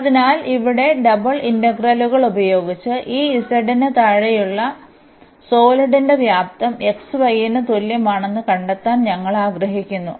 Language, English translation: Malayalam, So, here the using the double integrals, we want to find the volume of the solid below this z is equal to x y